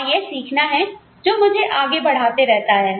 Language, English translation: Hindi, And, it is that learning, that keeps me going